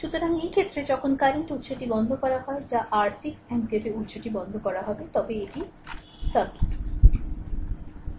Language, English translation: Bengali, So, in this case when current source is turned off that is your 6 ampere source is turned off then this is the circuit